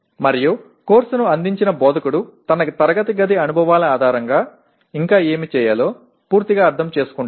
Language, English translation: Telugu, And the instructor who offered the course will fully understand based on his classroom experiences what more things to be done